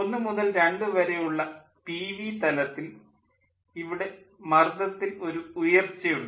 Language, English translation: Malayalam, in pv plane, from one to two there is rise in pressure